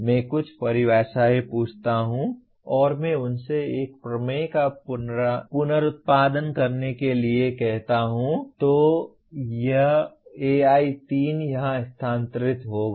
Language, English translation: Hindi, I ask some definitions and I ask him to reproduce a theorem then it becomes AI3 has moved here